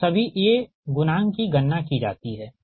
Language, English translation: Hindi, so once that means all the a coefficient are computed